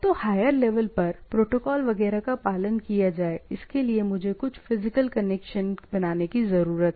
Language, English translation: Hindi, So, whatever may be the way of protocol etcetera followed at the high levels, I need to have some physical connection